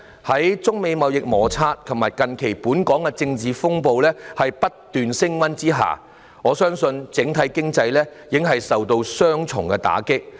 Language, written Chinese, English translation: Cantonese, 在中美貿易摩擦和近期本港的政治風暴不斷升溫之下，我相信整體經濟已經受到雙重打擊。, While the China - United States trade frictions and the recent political turmoil in Hong Kong keep escalating I believe the overall economy has already suffered a double blow